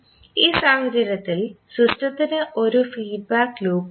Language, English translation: Malayalam, So in this case the system has one feedback loop also